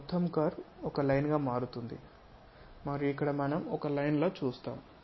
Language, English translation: Telugu, This entire curve will turns turns out to be a straight line on this front view